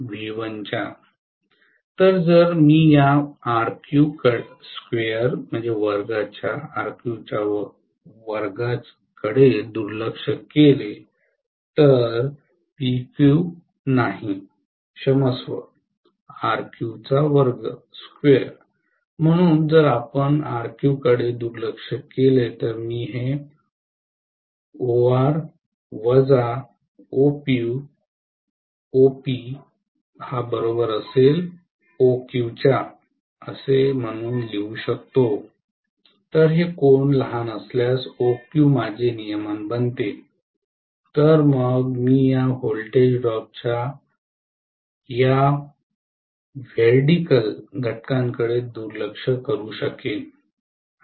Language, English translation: Marathi, So if I neglect this RQ square, not PQ am sorry, RQ square, so if we neglect RQ, then I can write this as OR minus OP equal to OQ, so OQ becomes my regulation, if this angle is small, then I can afford to neglect this veridical components of this voltage drop